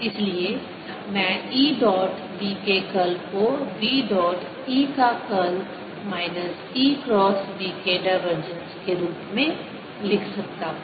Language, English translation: Hindi, therefore i can write e dot curl of b as b dotted with curl of e, minus divergence of e cross b